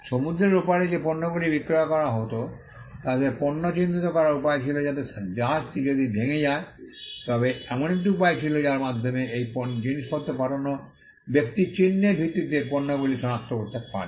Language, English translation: Bengali, People who were selling goods which had to be shipped across the seas had a way to mark their goods so that if the ship got wrecked there was a way in which, the person who shipped the items could identify the goods based on the mark